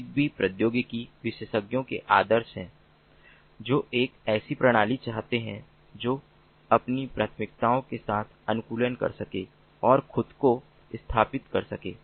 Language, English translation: Hindi, zigbee is ideal for technology experts who want a system that can customize with their preferences and install themselves